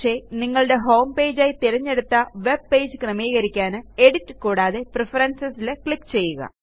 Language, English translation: Malayalam, But to set your own preferred webpage as Homepage, click on Edit and Preferences